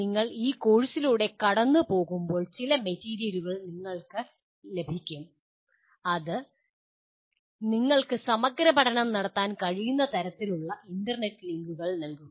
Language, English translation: Malayalam, Some material will be made available to you when you are going through this course which will give you the kind of internet links that you can explore